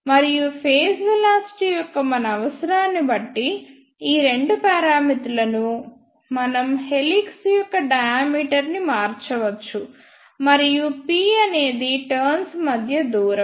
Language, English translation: Telugu, And depending upon our requirement of phase velocity, we can change these two parameters that is d is diameter of the helix, and p is the distance between the turns